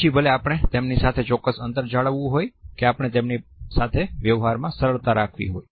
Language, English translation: Gujarati, Whether we want to maintain certain distance from them are we at ease or with them